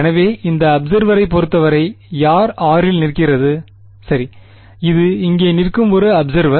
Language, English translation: Tamil, So, with respect to this observer, who is standing at r right; this is an observer standing over here